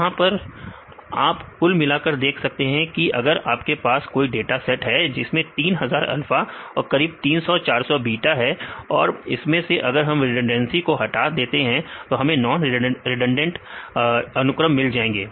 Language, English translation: Hindi, So, now we can see the count if you have the dataset we have 3000 alpha plus about 300; 400 beta; when we get the redundancy remove the redundancy, we get the non redundancy sequences